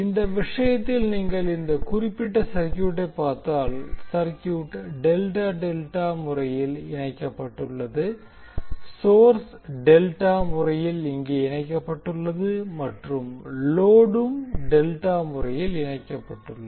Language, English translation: Tamil, So in this case if you see this particular circuit, the circuit is delta delta connected here the source is delta connected as well as the load is delta connected